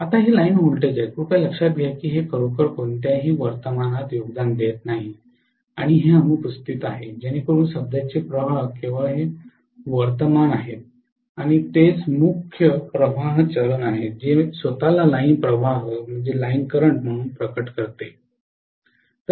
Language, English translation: Marathi, Whereas now it is line voltage, please note that this is not really contributing any current this is absent so what is the current flowing is only this current and that is essentially the phase current which is manifesting itself as the line current